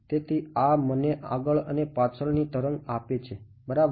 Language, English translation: Gujarati, So, this is going to be give me a forward and a backward wave right